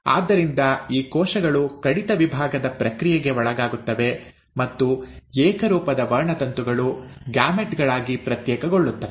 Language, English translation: Kannada, So, these cells will undergo the process of reduction division and the homologous chromosomes will get segregated into the gametes